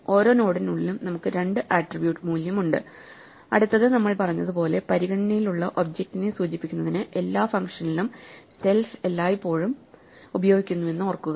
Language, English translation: Malayalam, So, inside each node we have 2 attributes value and next as we said and remember that self is always used with every function to denote the object under consideration